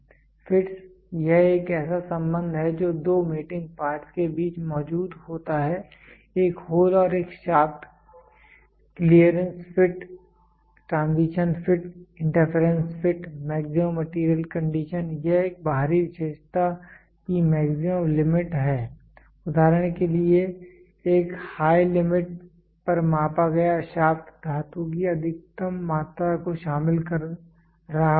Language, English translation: Hindi, Fits it is the relationship that exist between 2 mating parts a hole and a shaft clearance fit transition fit interference fit, maximum material condition this is the maximum limit of an external feature for example a shaft measured to its high limits with will contain the maximum amount of metal